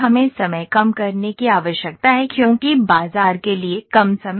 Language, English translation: Hindi, We need to reduce the times because the short times to market